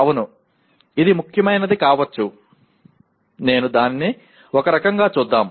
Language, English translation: Telugu, Yes, it could be important, let me look at it kind of thing